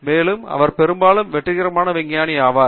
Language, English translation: Tamil, And, most probably, he is a more successful scientist